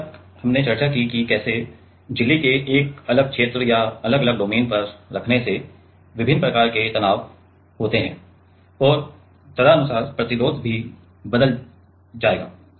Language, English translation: Hindi, Now, till now we have discussed that how placing on a different region or different domain of the membrane have different kinds of stress and accordingly the resistances will also change